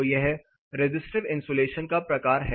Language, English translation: Hindi, So, this is the type of resistive insulation